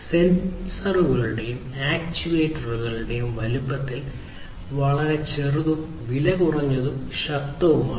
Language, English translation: Malayalam, These sensors and actuators are very small in size and they are also powerful